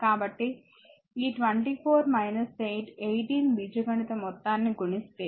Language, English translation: Telugu, So, if you add these 24 minus 8 18 algebraic sum